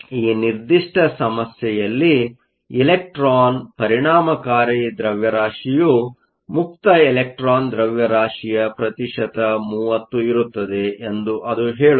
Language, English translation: Kannada, In this particular problem, it says the electron effective mass is 30 percent of the free electron mass